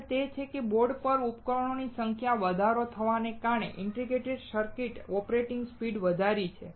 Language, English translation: Gujarati, Next is that, due to the increased number of devices onboard, integrated circuits have increased operating speeds